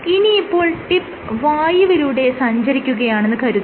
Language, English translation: Malayalam, So, what happens when the tip is traveling through air